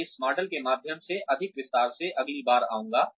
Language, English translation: Hindi, I will go through this model, in greater detail, the next time